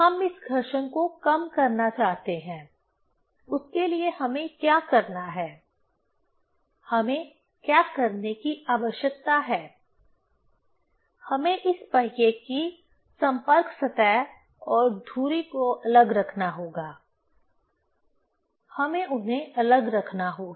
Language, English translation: Hindi, We want to reduce this friction; for that what we have to do, what we need to do; we have to keep the contact surface of this wheel and the axle, we have to keep them separate